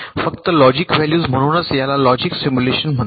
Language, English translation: Marathi, thats why this is called logic simulation